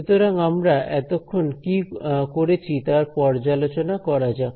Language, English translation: Bengali, And so, let us just review what we have done so far